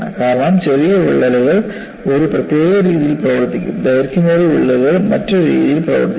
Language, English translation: Malayalam, Because short cracks will behave in a particular manner; longer cracks will behave in a different fashion